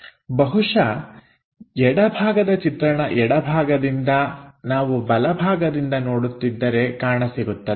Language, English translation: Kannada, Perhaps left side from left side if you are looking on right side, we will have a view here